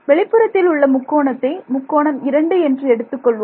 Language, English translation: Tamil, For the triangle outside over here, let us call it triangle 1 and this call it triangle 2